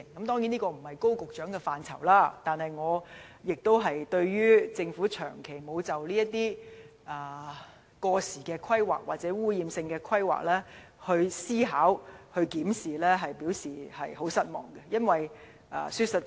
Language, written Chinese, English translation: Cantonese, 當然，這並非高局長負責的政策範疇，但對於政府長期沒有就這些過時或污染性的規劃作出思考和檢視，我表示十分失望。, Of course that issue is not within Secretary Dr KOs policy portfolio . But I am very disappointed that the Government has never considered and reviewed this kind of obsolete planning which would cause pollution to the environment of the districts